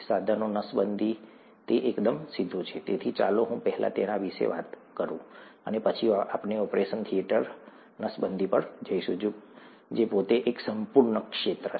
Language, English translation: Gujarati, Instrument sterilization, that, it's rather straightforward, so let me talk about that first, and then we’ll get to the operation theatre sterilization, which is a whole field in itself